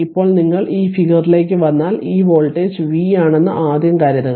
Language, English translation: Malayalam, Now if you come to this if you come to this figure so, first suppose if this voltage is v